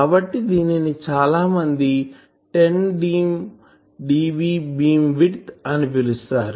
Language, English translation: Telugu, So, that will be called a 10dB frequency bandwidth